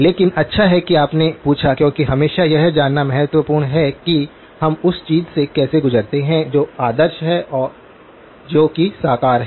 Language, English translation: Hindi, But good that you asked because always important to know how do we go from something that is ideal to something that is realizable